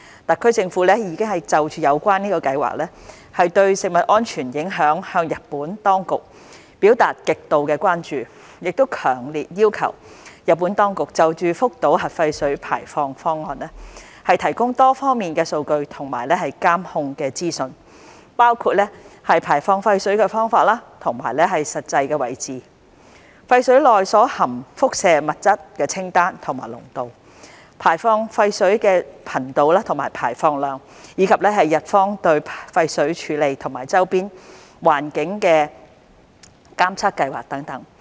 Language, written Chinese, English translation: Cantonese, 特區政府已就有關計劃對食物安全的影響向日本當局表達極度關注，強烈要求日本當局就福島核廢水排放方案提供多方面的數據和監控的資訊，包括排放廢水的方法和實際位置、廢水內所含輻射物質的清單和濃度、排放廢水的頻度和排放量，以及日方對廢水處理和周邊環境的監測計劃等。, The Hong Kong Special Administrative Region SAR Government has expressed grave concern about the impact of the discharge plan on food safety and has strongly requested the Japanese authorities to provide data on various aspects and information on control and surveillance including the method and actual location of the wastewater discharge the list and the concentration of the radionuclides in the wastewater the frequency and volume of discharge as well as the monitoring programme on the wastewater treatment and the surrounding environment